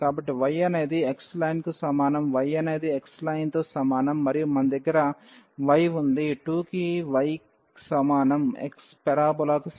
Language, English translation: Telugu, So, y is equal to x line; y is equal to x line and we have this y is equal to y square is equal to x the parabola